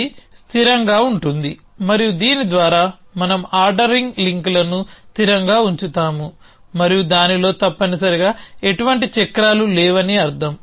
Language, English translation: Telugu, It is consistent and by this we mean the ordering links a consistent by and by that we mean that there are no cycles in that essentially